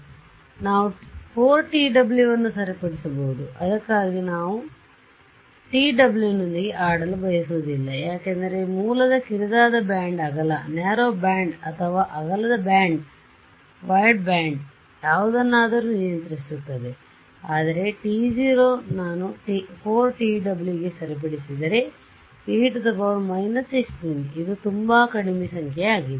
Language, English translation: Kannada, So, not t w t naught right so, t naught for example, I can fix to be say 4 t w, I do not want to play with t w for this; t w is what is controlling the characteristics of my source narrow band wide or wide band or whatever, but t naught supposing I fix to four times t w then what happens is this is e to the minus 16 which is a very low number